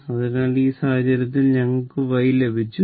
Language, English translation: Malayalam, So, that mean y is equal to 11